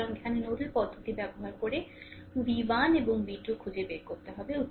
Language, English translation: Bengali, So, here you have to find out v 1 and v 2 right using nodal method